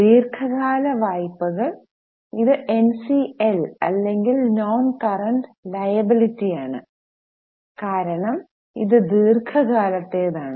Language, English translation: Malayalam, Long term borrowings, this is NCL or non current liability because it is long term it is non current